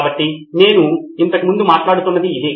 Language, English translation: Telugu, So this is what I was talking about earlier